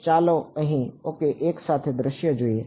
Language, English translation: Gujarati, So, let us take a view along this ok